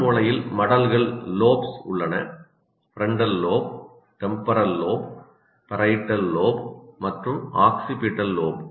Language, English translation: Tamil, We call it frontal lobe, temporal lobe, occipital lobe, and parietal lobe